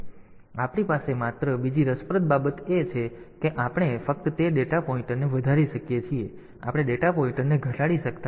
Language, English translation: Gujarati, So, the only another interesting thing that we have is that we can only increment that data pointer we cannot decrement the data pointer